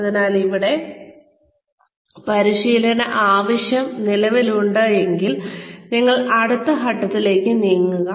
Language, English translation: Malayalam, So here, if the training need exists, then you move on to the next step